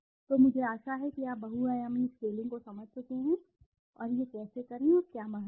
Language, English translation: Hindi, So I hope you have understood multidimensional scaling and how to do it and what is importance